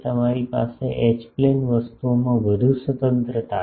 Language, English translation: Gujarati, So, you have more liberty in the H plane things ok